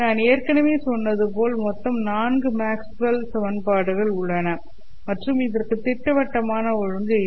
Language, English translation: Tamil, As I said, there are four Maxwell's equations